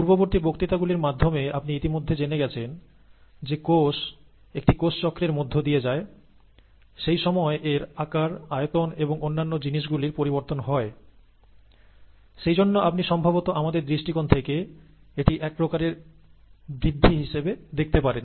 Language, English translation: Bengali, You already know from the previous lectures, that the cell goes through a cell cycle, during which its size changes, its volume and other things change as it goes through the cell cycle; and therefore you can probably look at it as some sort of a growth, from our perspective